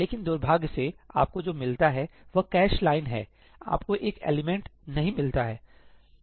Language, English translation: Hindi, But unfortunately, what you get is the cache line, you do not get an element